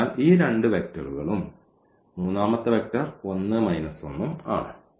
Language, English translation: Malayalam, So, these two vectors so, these two vectors and the third vector is 1 and 2